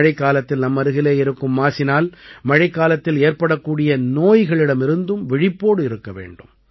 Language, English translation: Tamil, We also have to be alert of the diseases caused by the surrounding filth during the rainy season